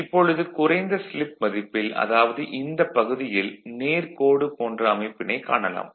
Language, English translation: Tamil, So, at the low value of slip you will see this region you will find something like a a straight line design right